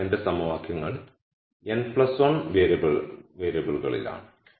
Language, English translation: Malayalam, So, my equations are in n plus 1 variables